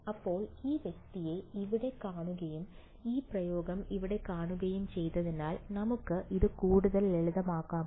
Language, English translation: Malayalam, Now, having seen this guy over here and having seen this expression over here, can we further simplify this